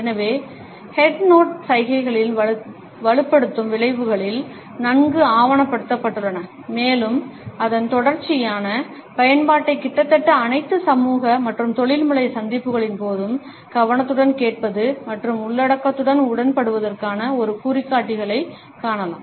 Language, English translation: Tamil, So, the reinforcing effects of the head nod gestures have been well documented and its frequent use can be seen during almost all social and professional encounters as an indicator of attentive listening and agreement with the content